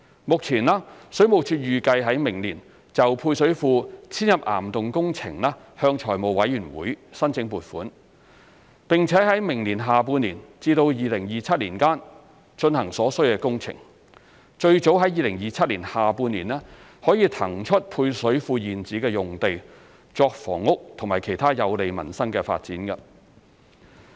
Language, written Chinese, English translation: Cantonese, 目前，水務署預計在明年就配水庫遷入岩洞工程向財務委員會申請撥款，並在明年下半年至2027年間進行所需工程，最早在2027年下半年可以騰出配水庫現址用地作房屋及其他有利民生的發展。, Currently WSD plans to seek the funding approval for the construction works of the relocation of service reservoirs to caverns from the Finance Committee next year . The construction works are targeted to be carried out from the second half of next year to 2027 and the site of existing service reservoirs can be released in the second half of 2027 the earliest for housing and other uses beneficial to the peoples livelihood